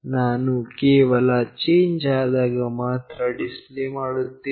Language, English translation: Kannada, I am only displaying, when there is a change